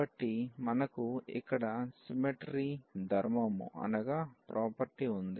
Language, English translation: Telugu, So, we have the symmetry property here